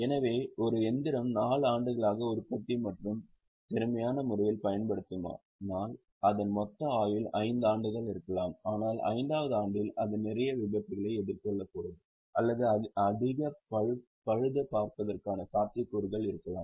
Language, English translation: Tamil, So, suppose if a machine is likely to be used for four years, in a productive and an efficient manner, it may have a total life of five years, but in the fifth year it may face with lot of accidents or possibility of more repairs